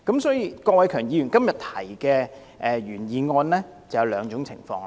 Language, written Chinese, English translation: Cantonese, 所以，郭偉强議員今天提出的原議案涉及兩種情況。, Therefore the original motion proposed by Mr KWOK Wai - keung today involves two scenarios